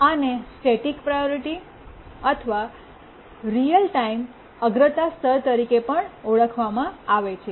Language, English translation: Gujarati, This is also called a static priority level or real time priority level